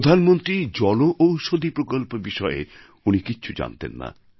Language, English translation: Bengali, Earlier, he wasn't aware of the Pradhan Mantri Jan Aushadhi Yojana